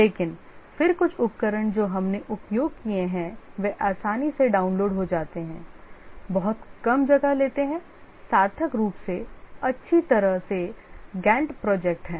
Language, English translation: Hindi, But then some tools which we have used, it's easily downloaded, takes very less space, does meaningfully well is the Gant project